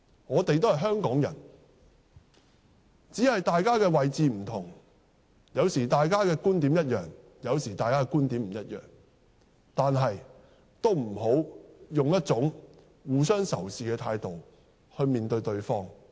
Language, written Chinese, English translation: Cantonese, 我們都是香港人，只是大家的位置不同，有時大家的觀點相同，有時則不相同，但也不要以互相仇視的態度面對對方。, We are all Hongkongers only that we are in different positions . Sometimes we may share the same views and sometimes we may not . But we should not be hostile to each other